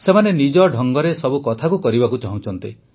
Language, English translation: Odia, They want to do things their own way